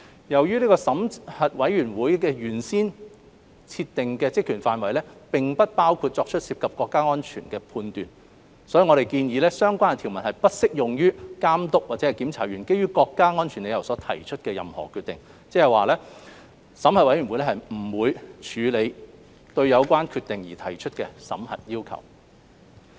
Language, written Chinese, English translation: Cantonese, 由於審核委員會的原先設定職權範圍並不包括作出涉及國家安全的判斷，因此我們建議相關條文不適用於監督或檢查員基於國家安全理由所提出的任何決定，即審核委員會不會處理對有關決定而提出的審核要求。, As the original terms of reference of the Board of Review did not include the making of judgments relating to national security it is proposed that the relevant provisions should not be applied to any decisions made by the Authority or censors on national security grounds that is the Board will not deal with requests for review of such decisions